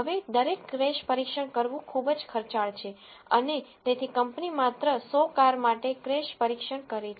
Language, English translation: Gujarati, Now, each crash test is very expensive to perform and hence the company does a crash test for only 100 cars